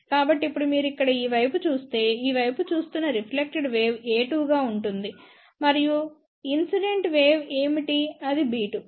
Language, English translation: Telugu, So, now, if you look at this side here what is the reflected wave looking in this side that will be a 2 and what is the incident wave that will be b 2